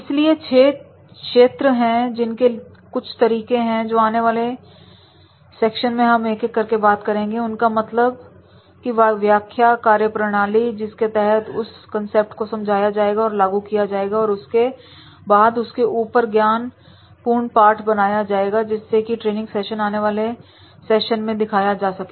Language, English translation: Hindi, So these are the six areas and these are these certain methods and in subsequent sessions I will talk about the individually about each method the concepts in detail the methodology which is how to use that particular concept then demonstrating that particular concept and then making the lessons of learning out of these concepts so the training sessions will be demonstrated in the subsequent sessions